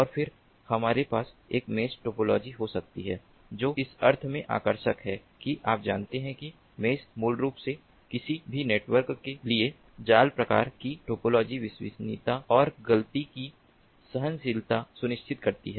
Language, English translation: Hindi, i will show you what is the meaning of star topology, and then we can have a mesh topology, which is attractive in the sense that you know, mesh, basically mesh kind of topology for any network, ensures reliability and fault tolerance